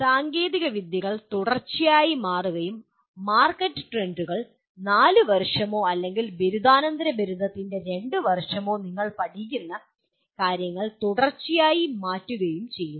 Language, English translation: Malayalam, And with technologies continuously changing and market trends continuously changing what you learn during the 4 years or 2 years of post graduation is not going to be adequate